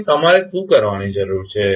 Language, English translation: Gujarati, So, what you need to do